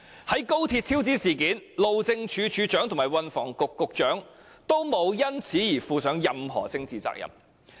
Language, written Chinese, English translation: Cantonese, 在高鐵超支事件中，路政署署長和運輸及房屋局局長均無須就事件負上任何政治責任。, As for the XRL cost overrun debacle neither the Director of Highways nor the Secretary for Transport and Housing was held politically accountable